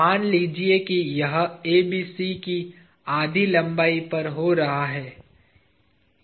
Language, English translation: Hindi, Let us say this is occurring at half the length of ABC